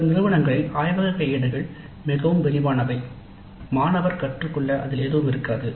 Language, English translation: Tamil, In some cases, some institutes, the laboratory manuals are so elaborate that there is nothing left for the student to learn as such